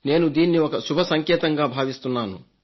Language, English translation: Telugu, I consider this as a positive sign